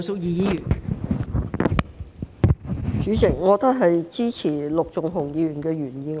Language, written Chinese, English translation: Cantonese, 代理主席，我也支持陸頌雄議員的原議案。, Deputy President I also support Mr LUK Chung - hungs original motion